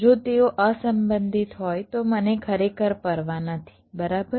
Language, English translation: Gujarati, if they are unrelated i really do not care right